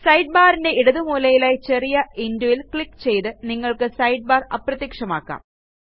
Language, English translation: Malayalam, You can make the Sidebar disappear by clicking the small x on the top right hand corner of the side bar